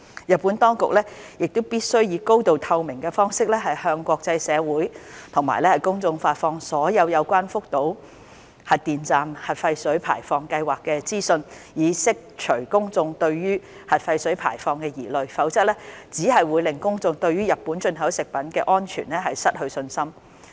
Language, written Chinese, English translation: Cantonese, 日本當局必須以高度透明的方式向國際社會及公眾發放所有有關福島核電站核廢水排放計劃的資訊，以釋除公眾對核廢水排放的疑慮，否則只會令公眾對日本進口食品的安全失去信心。, The Japanese authorities shall disseminate all information relating to the nuclear wastewater discharge plan of the Fukushima Nuclear Power Station to the international community and the public in a highly transparent manner . Or else it will only lead to loss of public confidence in the safety of the food imported from Japan